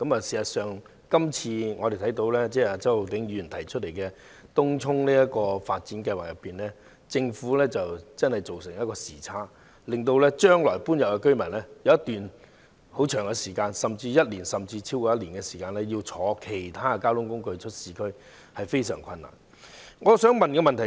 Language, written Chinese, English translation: Cantonese, 事實上，就周浩鼎議員今次提出的東涌新市鎮擴展計劃，我們看到政府的工作確實出現一個時差，令日後遷入該區的居民將有一段漫長的時間，約1年甚或超過1年須乘坐其他交通工具前往市區，對市民造成困難。, As a matter of fact insofar as the TCNTE project mentioned by Mr Holden CHOW is concerned we can see that there is actually a time gap in the work of the Government resulting in the residents having to travel by other means of transport to the urban area for one year or even more than one year after they have moved into Tung Chung . This will cause difficulties to the residents